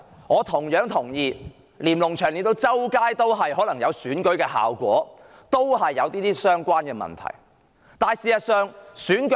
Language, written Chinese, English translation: Cantonese, 我同樣同意，隨處可見的連儂牆也有助選效果，而這亦與上述問題相關。, I also agree that Lennon Walls in all places over the territory have a canvassing effect and this is relevant to the above mentioned problem